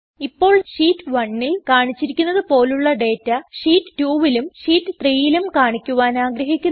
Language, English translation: Malayalam, Now we want Sheet 2 as well as Sheet 3 to show the same data as in Sheet 1